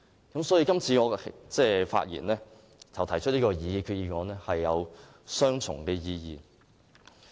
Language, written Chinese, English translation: Cantonese, 我今次發言及提出擬議決議案，是有雙重意義的。, In this respect my speech and my proposed resolution are of dual significance